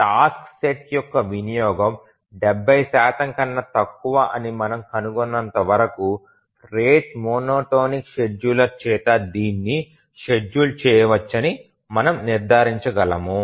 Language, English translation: Telugu, So, as long as we find that a task set, the utilization is less than 70 percent, we can conclude that it can be feasibly scheduled by a rate monotonic scheduler